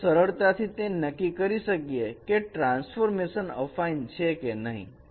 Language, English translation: Gujarati, We can easily find determine that whether the transformation is an affine transformation or not